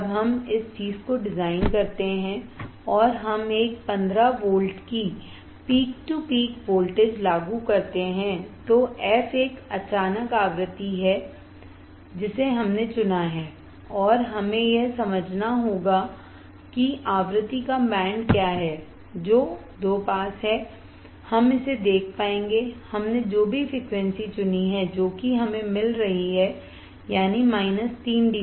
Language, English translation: Hindi, When we design this thing and we apply a fifteen volts peak to peak f is a sudden frequency right, that we have selected and we have to understand that what is the band of frequency that is around two pass, we will be able to see that whatever frequency we have selected that minus 3 dB that we were get minus 3 dB